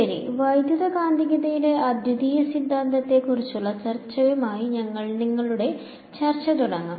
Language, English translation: Malayalam, So, we will continue our discussion, now with the discussion of the Uniqueness Theorem in Electromagnetics